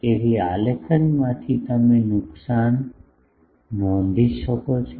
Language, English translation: Gujarati, So, from the graphs, you can find out the losses